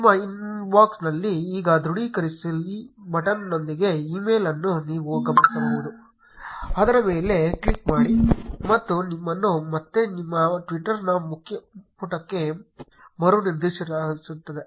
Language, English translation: Kannada, In your inbox, you will notice an email with confirm now button, click on it and you will be again redirected to your twitter's home page